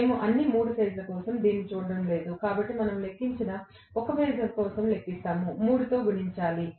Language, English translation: Telugu, We are not going to look at it for all the 3 phases, so whatever we calculate we calculate for 1 phase multiplied by 3